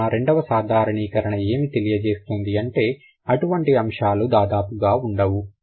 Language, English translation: Telugu, So that is why the second generalization will say that this is almost non existent